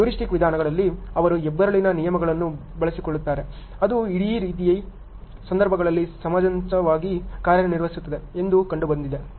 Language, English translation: Kannada, In heuristic approaches, they employ a rules of thumb that have been found to work reasonably well in similar situations